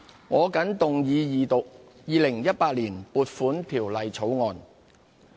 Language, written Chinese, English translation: Cantonese, 我謹動議二讀《2018年撥款條例草案》。, I move that the Appropriation Bill 2018 be read a Second time